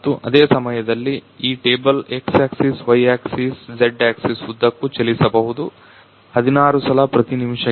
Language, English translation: Kannada, And on the same time this table can move along x axis, y axis, z axis 16 per minute to 1600 minute